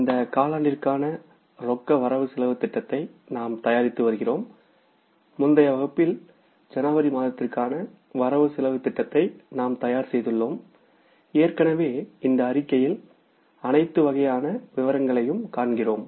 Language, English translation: Tamil, So, we are in the process of preparing the cash budget for this quarter and in the previous class we prepared the budget for month of January and we have already put the particulars, all kinds of the particulars here in this budget statement